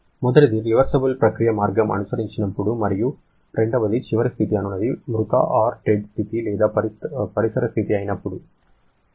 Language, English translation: Telugu, When the process path that has been followed is a reversible one and secondly the final state is the dead state or the state of the surrounding